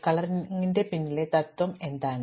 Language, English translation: Malayalam, Now, what is the principle behind this coloring